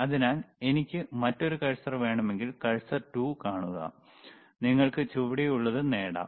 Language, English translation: Malayalam, So, if I want to have another cursor, see cursor 2, you can have the bottom,